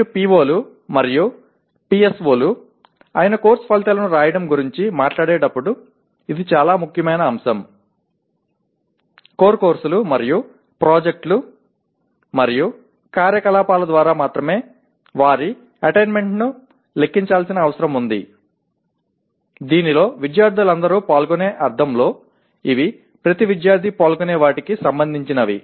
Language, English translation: Telugu, This is a very important aspect when you talk about even writing course outcomes that is POs and PSOs their attainment needs to be computed only through core courses and projects and activities in which all students participate in the sense these are related to what every student participates